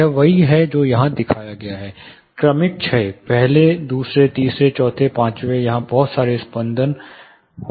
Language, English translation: Hindi, This is exactly what is shown here; gradual decay first second third fourth fifth, there will be a lot of flutters which are happening